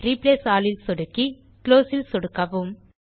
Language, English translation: Tamil, Now click on Replace All and click on Close